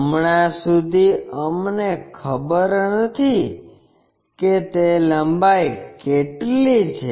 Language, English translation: Gujarati, As of now we do not know what is that length